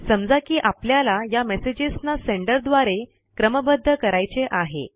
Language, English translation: Marathi, Lets say we want to sort these messages by Sender